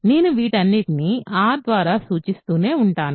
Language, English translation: Telugu, I will keep denoting all these by R